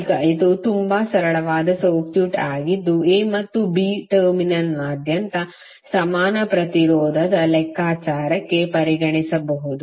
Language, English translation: Kannada, So now this is even very simple circuit which you can consider for the calculation of equivalent resistance across A and B terminal